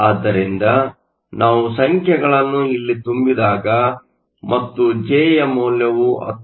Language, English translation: Kannada, So, we can substitute the numbers and J comes out to be 19